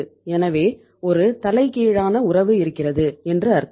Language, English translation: Tamil, So it means there is a reverse relationship